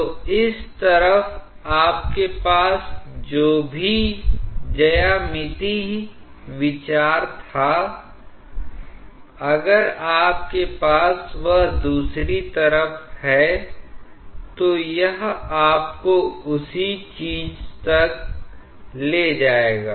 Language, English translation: Hindi, So, whatever geometrical consideration you had on this side, if you have it on the other side, it will exactly lead you to the same thing